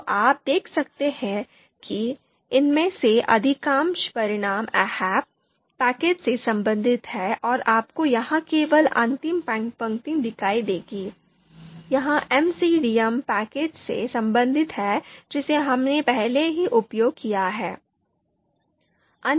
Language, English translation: Hindi, So you can see most of the you know these these results lines of these results they are related to the AHP packages and you would see only the last line here, this is related to MCDA package that we have already used